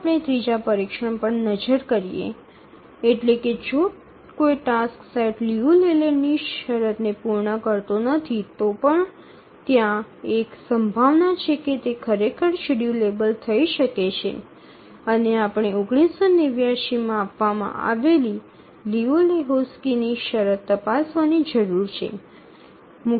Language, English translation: Gujarati, Even if a task set doesn't meet the Liu Leyland condition, there is a chance that it may actually be schedulable and we need to check at Liu Lehochki's condition